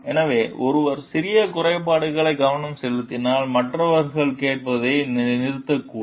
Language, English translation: Tamil, So, if one asks for attention to minor imperfections, so then others maybe will stop listening